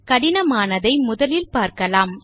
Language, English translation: Tamil, And we will start with the hard one